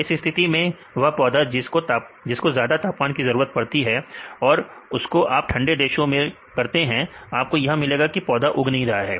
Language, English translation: Hindi, So, in this case if you plant which requires high temperature; so, if you do it in the cold countries, you can get it will not grow